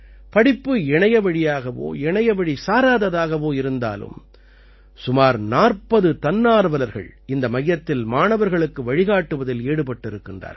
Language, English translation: Tamil, Be it offline or online education, about 40 volunteers are busy guiding the students at this center